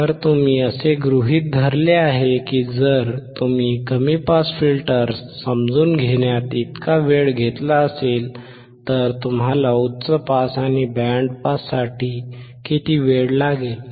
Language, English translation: Marathi, So, you assume that if you have taken so much time in understanding low pass filters how much time you will take for high pass and band pass